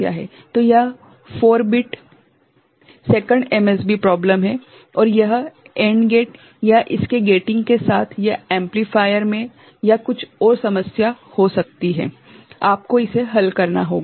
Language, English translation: Hindi, So, this is a 4 bit second MSB problem and it could be problem with the AND gate or the gating of it or at the amplifier or some issue is there accordingly, you have to resolve it